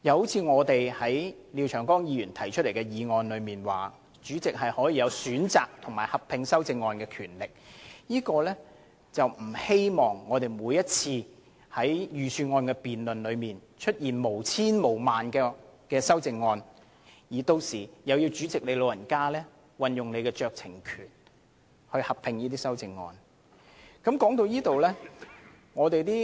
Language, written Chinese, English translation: Cantonese, 此外，我們曾就廖議員提出的擬議決議案指出，賦予主席選擇就修正案進行合併辯論的權力，是不想每年的財政預算案辯論都出現成千上萬項修正案，而每次都要勞煩主席運用酌情權，命令就修正案進行合併辯論。, Furthermore regarding Mr LIAOs suggestion of empowering the President to select amendments for a joint debate we have highlighted that the purpose is facilitate the Presidents handling of tens of thousands of amendments to the Budget each year such that he does not have to exercise discretion each time in instructing that joint debates be held